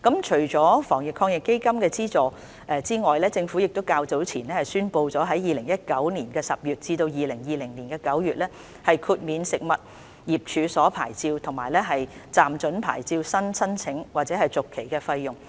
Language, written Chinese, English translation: Cantonese, 除防疫抗疫基金的資助外，政府較早前亦宣布了在2019年10月至2020年9月豁免食物業處所牌照及暫准牌照新申請或續期的費用。, In addition to the subsidies under the Fund the Government has also made an announcement earlier that the fees for new issue or renewal of licence or provisional licence for food business will be waived from October 2019 to September 2020